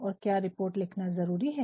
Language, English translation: Hindi, And, this is report writing